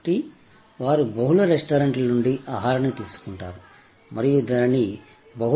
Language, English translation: Telugu, So, they pick up food from multiple restaurants and deliver to multiple customers